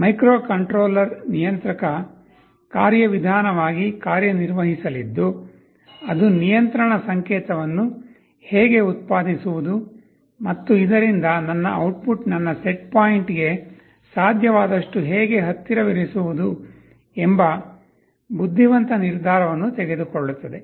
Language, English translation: Kannada, There is a microcontroller will be acting as the controller mechanism that will take an intelligent decision, how to generate the control signal so that my output is as close as possible to my set point